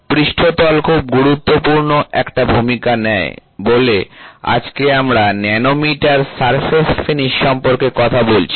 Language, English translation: Bengali, So, surfaces play a very very important role that is why today, we are talking about nanometer surface finish